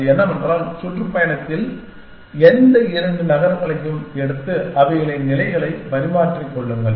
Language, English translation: Tamil, And what that says is that, take any two cities in the tour and exchange their positions